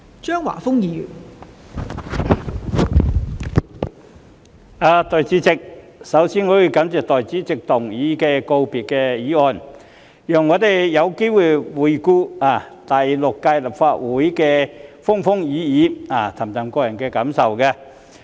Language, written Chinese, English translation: Cantonese, 代理主席，我首先要感謝閣下動議告別議案，讓我們有機會回顧第六屆立法會的風風雨雨，抒發個人感受。, Deputy President to begin with I must thank you for moving this valedictory motion and this has given us an opportunity to look back on the ups and downs of the Sixth Legislative Council and express our personal feelings